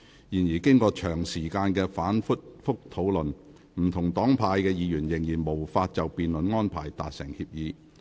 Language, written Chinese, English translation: Cantonese, 然而，經長時間的反覆討論，不同黨派的議員仍然無法就辯論安排達成協議。, However after prolonged and repeated discussions Members from different political parties and groupings were unable to reach an agreement on the debate arrangements